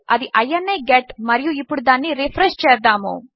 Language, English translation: Telugu, That is ini get and lets refresh that